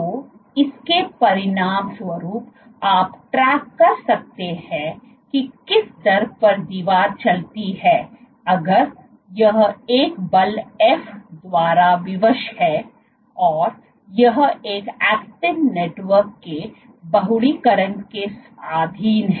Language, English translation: Hindi, So, as a consequence of that you can track at what rate there is a wall move if it is constrained by a force f and it is subjected to polymerization of an actin network